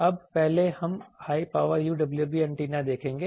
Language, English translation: Hindi, Now, first we will see the high power UWB antennas